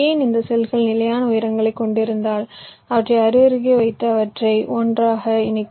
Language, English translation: Tamil, why, if this cells have fixed heights, you can put them side by side and joint them together